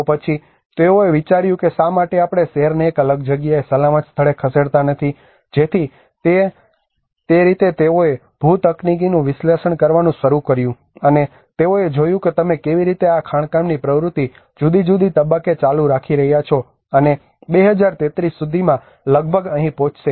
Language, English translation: Gujarati, So then they thought why not we move the city into a different place a safe place so in that way they started analysing the geotechnical analysis have been done and they looked at how you see this mining activity keep on going in different stages and by 2033 it will almost reach here